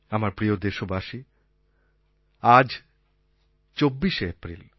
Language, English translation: Bengali, My dear fellow citizens, today is the 24th of April